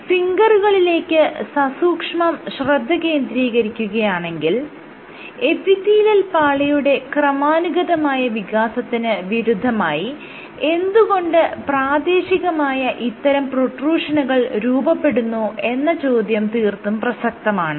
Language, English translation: Malayalam, So, if you look zoom in into the fingers and ask what is happening why are these very local protrusions being formed as opposed to gradual expansion of the epithelial layer what the authors found